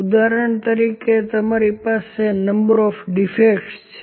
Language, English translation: Gujarati, For example, you have can be the number of defects